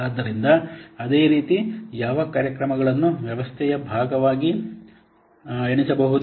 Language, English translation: Kannada, So, what programs will be counted as part of the system